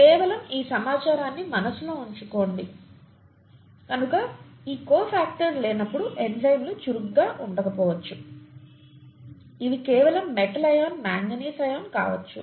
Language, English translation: Telugu, Just have this in mind as information, so the enzymes may not be active in the absence of these cofactors which could just be a metal ion